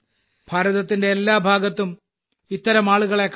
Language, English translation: Malayalam, You will find such people in every part of India